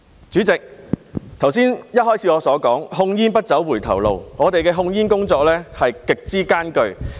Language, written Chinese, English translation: Cantonese, 主席，我剛才開始發言時說控煙不走回頭路，我們的控煙工作極之艱巨。, President as I said at the beginning of my speech just now tobacco control should not go backwards . Our work on tobacco control is extremely tough